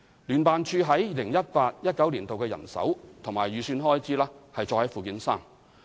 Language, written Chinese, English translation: Cantonese, 聯辦處於 2018-2019 年度的人手及預算開支載於附件三。, The staff establishment and estimated expenditure of JO in 2018 - 2019 are set out at Annex 3